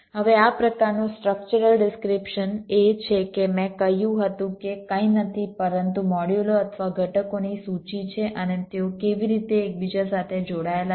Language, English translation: Gujarati, ok, now such a structural description is, as i said, nothing but a list of modules or components and how their interconnected